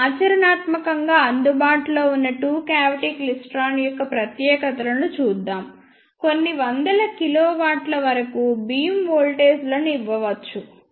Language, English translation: Telugu, Now, let us see the specifications of practically available two cavity klystrons beam voltages up to few hundreds of kilovolts can be given